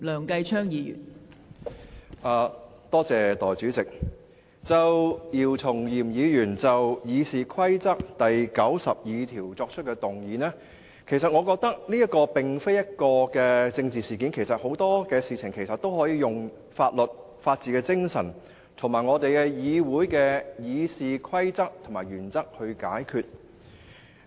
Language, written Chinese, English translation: Cantonese, 代理主席，姚松炎議員就《議事規則》第902條提出的議案，我覺得這並不是一件政治事件，很多事情其實都可以用法律、法治精神，以及《議事規則》及議會原則來解決。, Deputy President in my opinion the motion moved under Rule 902 of the Rules of Procedure by Dr YIU Chung - yim is not political in nature . In fact many matters can be settled by the law or the spirit of the rule of law as well as the Rules of Procedure and the principles adopted by this Council